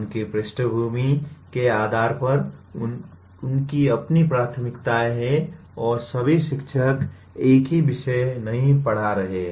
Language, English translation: Hindi, Based on their background, they have their own preferences and all teachers are not teaching the same subject